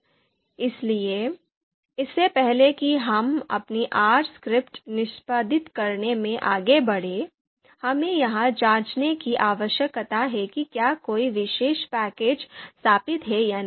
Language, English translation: Hindi, So okay before before we move ahead into you know executing our R script, we need to check whether a particular package is installed or not